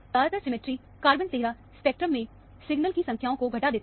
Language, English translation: Hindi, Mostly, symmetry reduces the number of signals in the carbon 13 spectrum